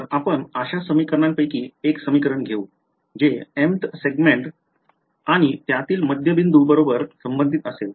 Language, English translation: Marathi, So, let us take one of those equations that corresponded to let us say the mth segment and the midpoint of it right